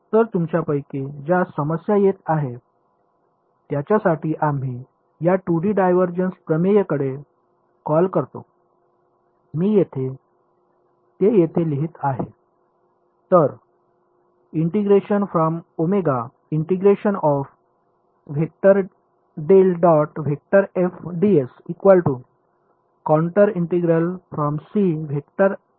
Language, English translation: Marathi, So, for those of you who are having trouble we call in this 2D divergence theorem I will just write it over here